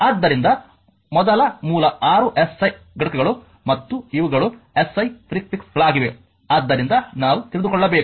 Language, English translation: Kannada, So, first basic 6 SI units and these are your what you call the SI prefixes so, this we should know right